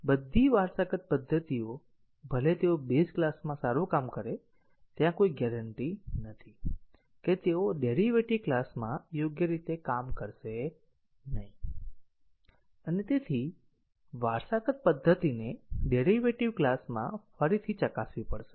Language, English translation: Gujarati, So, all the inherited methods even though they worked fine in the base class there is no guarantee that they will not work correctly in the derived class and therefore, the inherited method have to be retested in the derived class